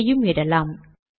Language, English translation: Tamil, Here and here